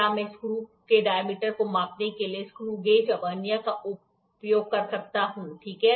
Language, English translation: Hindi, Can I use a screw gauge or a Vernier to measure diameter of the screw, ok